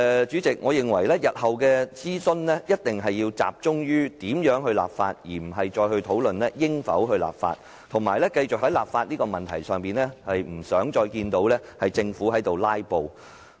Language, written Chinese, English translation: Cantonese, 主席，我認為日後的諮詢必須集中在如何立法，而不應再討論應否立法，我不想在立法問題上看到政府"拉布"。, President I think our consultation in the future should focus on how to enact the legislation rather than on discussing whether legislation should be enacted . I do not want to see the Government filibuster on the issue of enacting the legislation